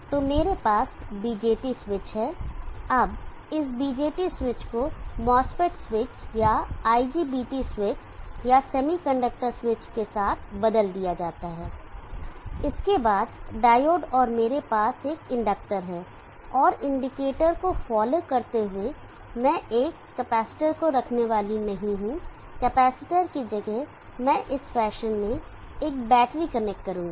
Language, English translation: Hindi, And this is followed by a buck converter so I have a BJT switch now this BJT switch can be replaced with a max fries switch or an IGPT switch or a semi conductor switch followed by a diode and I have an inductor and following the indictor I am not going to place a capacitor insisted of the capacitor I will connect a battery desperation and across the battery you may have the load R0 like this